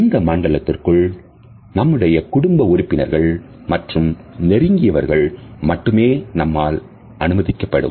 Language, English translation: Tamil, This is also a zone in which we allow only very close people and family members